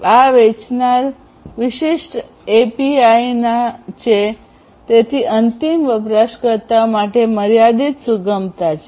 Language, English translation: Gujarati, And so because these are vendor specific API’s there is limited flexibility that the end users have